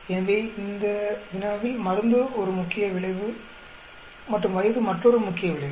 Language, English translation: Tamil, So, in this problem also main effect is drug and age is another main effect